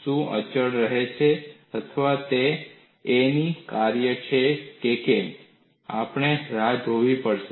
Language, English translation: Gujarati, Whether this remains a constant or whether it is the function of a, we will have to wait and see